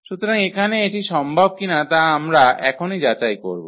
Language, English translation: Bengali, So, whether here it is possible or not we will check now